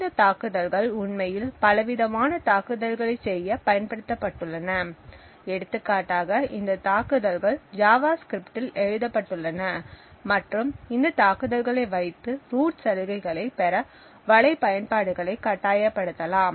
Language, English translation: Tamil, mount several different attacks these attacks for example can be written in JavaScript and force web applications to obtain root privileges